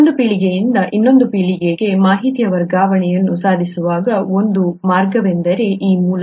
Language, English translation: Kannada, One of the reasons, one of the ways by which information transfer from one generation to the other is made possible, is through this